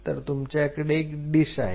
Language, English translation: Marathi, So, you have a dish on this dish